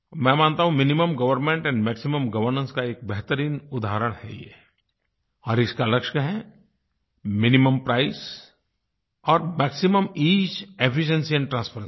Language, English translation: Hindi, I believe that this is an excellent example of Minimum Government and Maximum Governance, and it's objective is Minimum Price and Maximum Ease, Efficiency and Transparency